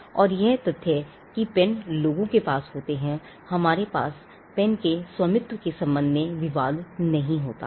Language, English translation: Hindi, And the fact that pens are possessed by people, we do not have title disputes with regard to ownership of pens